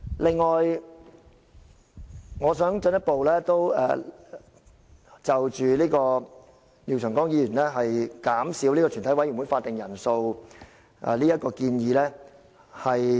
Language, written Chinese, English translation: Cantonese, 此外，我想進一步回應廖長江議員減少全體委員會法定人數這項建議。, Moreover I wish to further respond to Mr Martin LIAOs proposal to lower the quorum for a Committee of the Whole Council